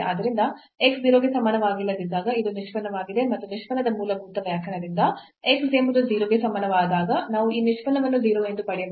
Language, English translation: Kannada, So, this is the derivative when x is not equal to 0 and we can get this derivative as 0 when x is equal to 0 by the fundamental definition of the derivative